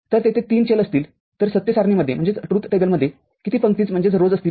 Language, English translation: Marathi, If there are 3 variables, how many rows will be there in the truth table